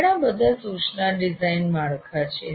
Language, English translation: Gujarati, And there are several instruction design frameworks